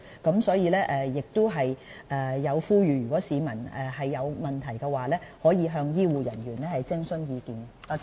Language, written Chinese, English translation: Cantonese, 衞生署亦呼籲當市民有疑問時，是可以向醫護人員徵詢意見的。, DH also appeals to the public that when they have any queries they can consult health care personnel for their advice